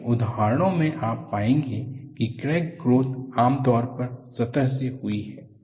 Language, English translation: Hindi, In many examples, you will find, crack growth generally, proceeds from the surface